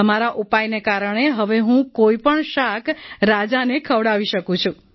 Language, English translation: Gujarati, Because of your suggestion now I can serve any vegetable to the king